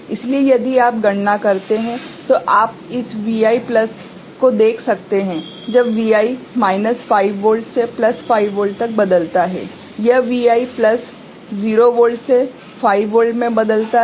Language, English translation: Hindi, So, if you calculate, you can see this Vi plus, when Vi changes from minus 5 volt to plus 5 volt, this Vi plus changes from 0 volt to 5 volt right